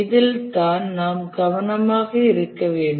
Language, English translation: Tamil, This is the only thing that we must be careful